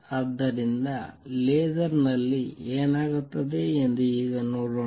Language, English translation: Kannada, So, let us see now what happens in a laser